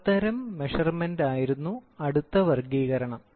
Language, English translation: Malayalam, The next classification were the Power type of Measurement